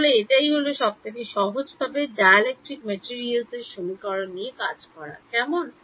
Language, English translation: Bengali, So, this is your simplistic way of dealing with dielectric materials questions ok